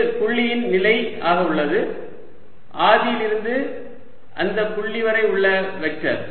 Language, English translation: Tamil, that is a position of the point ah, the, the vector from origin to the point